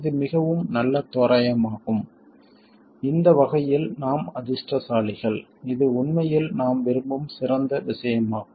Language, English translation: Tamil, It's a very good approximation and in this respect we are lucky it is actually exactly the ideal stuff that we want